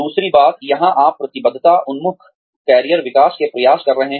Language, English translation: Hindi, The other thing, here is, you could have commitment oriented, career development efforts